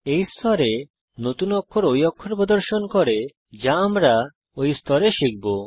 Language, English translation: Bengali, The New Characters in This Level displays the characters we will learn in this level